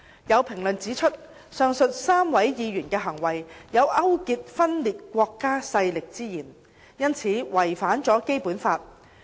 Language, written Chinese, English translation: Cantonese, 有評論指出，上述3位議員的行為有勾結分裂國家勢力之嫌，因此違反了《基本法》。, There are comments that the acts of the aforesaid three Members allegedly bore an element of collusion with secession forces and were therefore in violation of BL